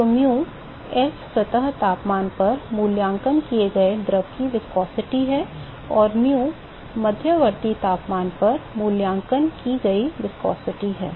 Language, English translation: Hindi, So, mu s is the viscosity of the fluid evaluated at the surface temperature and mu is the viscosity evaluated at intermediate temperature right